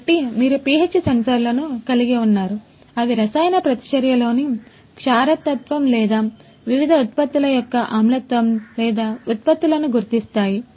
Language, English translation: Telugu, So, you could have the pH sensors; detect the alkalinity, alkalinity or the acidity of the different products or the byproducts in the chemical reaction